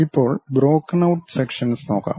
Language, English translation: Malayalam, Now, let us look at broken out sections